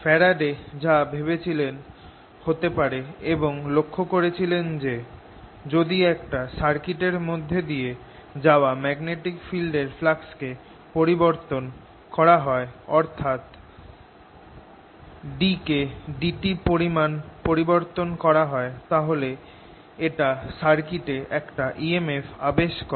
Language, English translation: Bengali, what faraday first thought should happen and then observe is that if i have a circuit and i change the flux of magnetic field passing through it, so we change d by d t of the flux passing through it, then this induces an e m f and the units